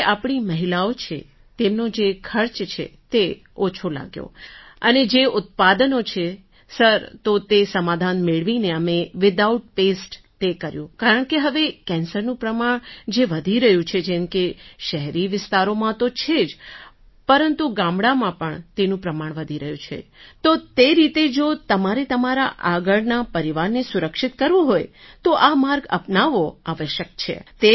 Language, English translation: Gujarati, Sir, the expenses incurred by our women were less and the products are there, sir, after getting that solution, we did it without pests… because now the evidence of cancer is increasing in urban areas… yes, it is there, but the evidence of it is increasing in our villages too, so accordingly, if you want to protect your future family, then it is necessary to adopt this path